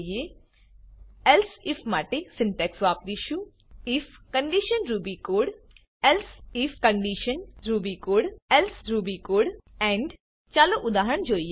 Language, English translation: Gujarati, The syntax for using elsif is: if condition ruby code elsif condition ruby code else ruby code end Let us look at an example